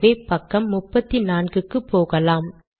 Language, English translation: Tamil, So lets go to page number 34